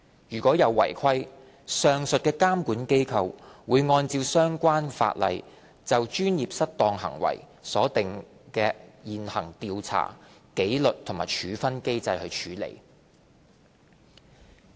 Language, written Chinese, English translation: Cantonese, 如有違規，上述監管機構會按照相關法例就專業失當行為所訂的現行調查、紀律和處分機制處理。, Non - compliance will be handled in accordance with the existing statutory investigation disciplinary and appeal mechanisms governing professional misconduct